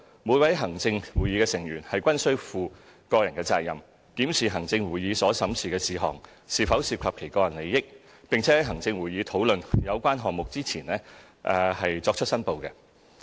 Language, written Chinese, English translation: Cantonese, 每位行政會議成員均負個人責任，檢視行政會議所審議的事項是否涉及其個人利益，並在行政會議討論有關項目前作出申報。, It is the personal responsibility of every ExCo Member to examine whether heshe has an interest in any item discussed by the ExCo and declare it before the ExCo discussion